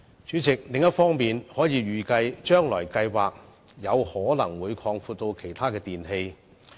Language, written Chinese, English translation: Cantonese, 主席，另一方面，強制性標籤計劃預期有可能會擴展至涵蓋其他電器。, President on the other hand MEELS is expected and likely to be extended to other types of electrical appliances